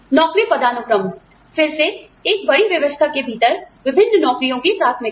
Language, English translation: Hindi, Job hierarchy, again the prioritization of different jobs, within a large setup